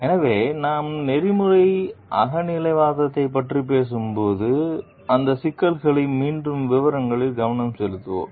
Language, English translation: Tamil, So, when we are talking of ethical subjectivism, we will be focusing on those issues in details again